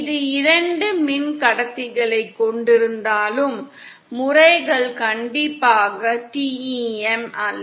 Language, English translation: Tamil, Even though it has two conductors, the modes are not strictly TEM